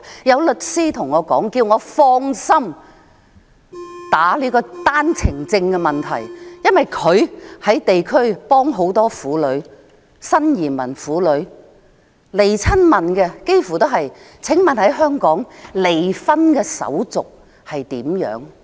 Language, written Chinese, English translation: Cantonese, 有律師跟我說，請我放心辯論單程證的問題，因為他在地區幫助很多新移民婦女，前來詢問的幾乎都是問香港的離婚手續如何。, A lawyer told me to feel at ease to debate the issue of OWPs because he was helping many newly arrived women in the district and almost all of those who came for consultation asked about the divorce procedures of Hong Kong